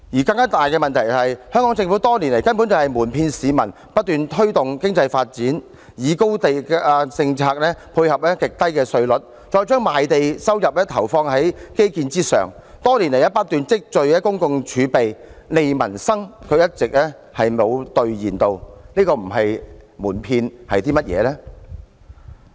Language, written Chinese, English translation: Cantonese, 更大問題是，香港政府多年來一直瞞騙市民，不斷推動經濟發展，以高地價政策配合極低稅率，將賣地收入投放在基建之上，多年來不斷積聚公共儲備，"利民生"卻一直未有兌現，這不是瞞騙是甚麼？, A bigger problem is that the Hong Kong Government has been lying to the people over the years . It never stops promoting economic development . By maintaining the high land price policy and extremely low tax rates and putting the land sales revenue into infrastructures it continues to accumulate public reserves but it never honours its promise to strengthen livelihoods